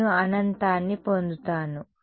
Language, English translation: Telugu, I will get infinity